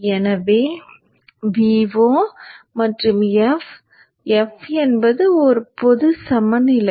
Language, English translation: Tamil, So V0 and F is a generic variable